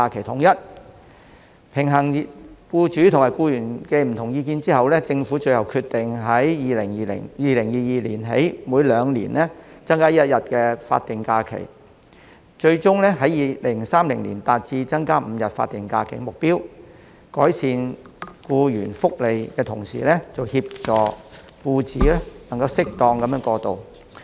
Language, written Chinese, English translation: Cantonese, 在平衡僱主和僱員的不同意見後，政府最後決定由2022年起，每兩年增加一天法定假期，以期在2030年達致增加5天法定假期的目標，以改善僱員福利，同時協助僱主能夠適當過渡。, Taking into account the different views of employers and employees the Government has eventually decided to increase the number of statutory holidays SHs with one additional day every two years progressively from 2022 so as to achieve the goal of adding five SHs in 2030 in a bid to improve employment benefits and assist employers to ensure appropriate transition